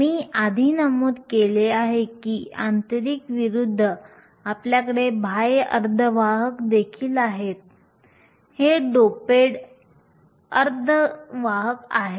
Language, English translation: Marathi, As opposed to intrinsic I mentioned earlier that you also have extrinsic semiconductors, these are doped semiconductors